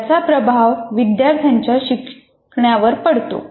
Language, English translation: Marathi, In either way, it will influence the learning by the student